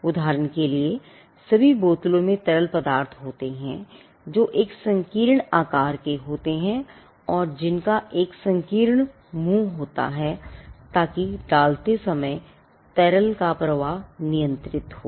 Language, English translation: Hindi, For instance, all bottles are shaped in a way to contain fluids and which have a narrow opening so that the flow of the liquid is controlled while pouring